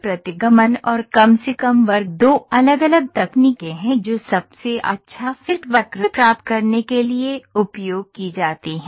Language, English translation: Hindi, Regression and a least square are two different techniques which are different different techniques which are used to get the best fit curve